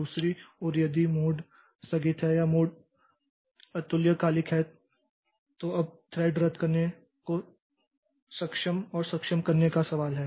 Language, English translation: Hindi, On the other hand, so mode if the mode is deferred or mode is asynchronous, now there is a question of disabling and enabling the thread cancellation